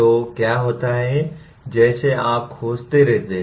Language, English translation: Hindi, So what happens as you keep exploring